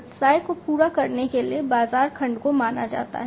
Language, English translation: Hindi, The market segment the business is supposed to cater to